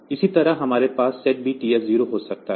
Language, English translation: Hindi, Similarly, we can have this SETB TF 0